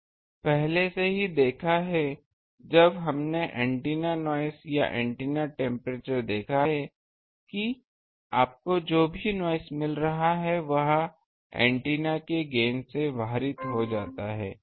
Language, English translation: Hindi, Now, we have already seen when we have seen the antenna noise temperature or antenna temperature that whatever noise you are getting that gets waited by the gain of the antenna